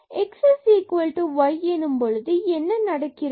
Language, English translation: Tamil, And the value is 0 when x y equal to 0 0